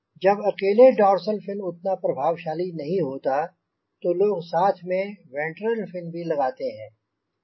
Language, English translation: Hindi, so many places where only dorsal fin is not that effective, people may put: ah, ventral fin